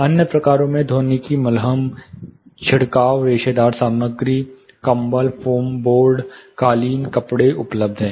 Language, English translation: Hindi, Other variance include acoustic plasters, sprayed fibrous materials, blankets, foam boards, carpets, fabrics are available